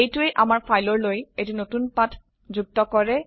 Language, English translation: Assamese, This will add a new page to our file